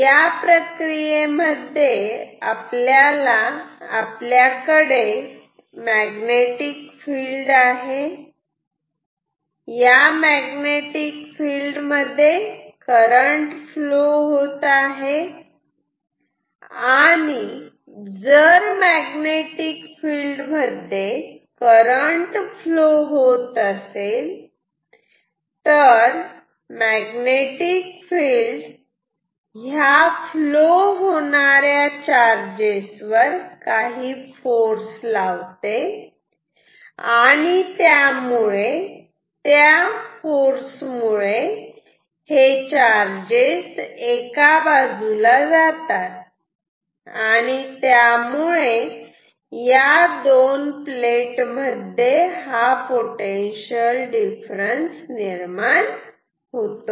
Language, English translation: Marathi, The phenomena is that we have a magnetic field, in that field we have some current flown and if when this current is flowing the magnetic field will give some force on this on this charge carrying charge carriers and therefore, they will they will get diverted on one side causing a potential difference between this two plates ok